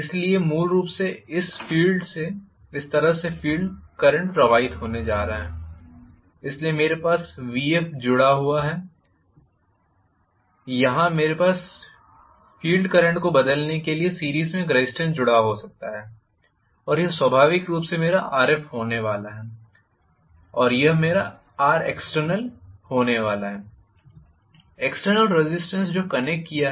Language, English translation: Hindi, So, I am going to have essentially the field current flowing like this, so I have vf connected here, I may have a resistance connected in series to vary the field current and this is going to be my Rf inherently and this is going to be R external, the external resistance that I have connected